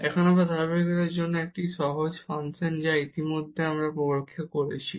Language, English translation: Bengali, Now for the continuity again it is a simple function we have already tested before